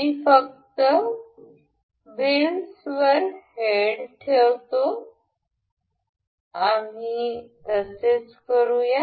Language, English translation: Marathi, I will just put the heads over the wheels ok, we will go to